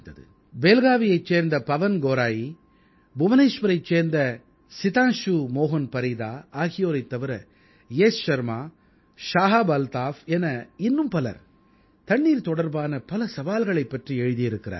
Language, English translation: Tamil, PawanGaurai of Belagavi, Sitanshu Mohan Parida of Bhubaneswar, Yash Sharma, ShahabAltaf and many others have written about the challenges related with water